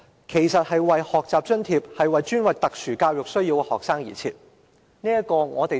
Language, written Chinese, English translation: Cantonese, 其實，這個學習津貼本身是專為有特殊教育需要的學生而設。, Actually the Grant is in essence a dedicated learning fund for students with special education needs